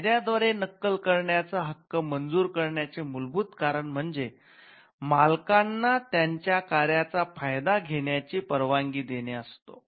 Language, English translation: Marathi, So, the reason fundamental reason why the right to copy is granted by the law is to allow the owners to exploit their work